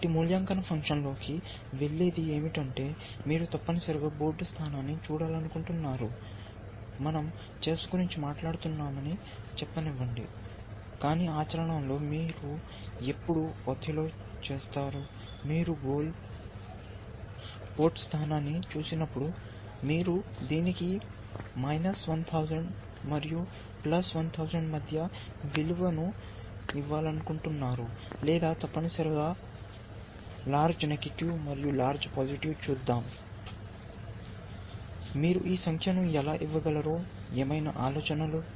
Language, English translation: Telugu, So, what goes into an evaluation, so essentially you want to look at a board position, let say we are talking about chess, but in practice of course, when you do you will be doing othello, when you look at a goal port position, you want to give it a value between minus 1000 and plus 1000 essentially or minus large and plus large let us see, any ideas how you could give this number